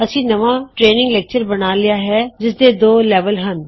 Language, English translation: Punjabi, We have created a new training lecture with two levels